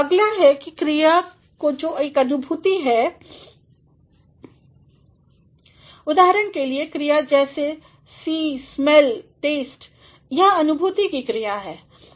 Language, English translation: Hindi, Next are the verbs which are a perception for example, the verbs like see, smell, taste, these are the verbs of perception